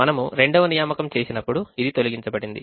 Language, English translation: Telugu, when we made the second assignment, this was eliminated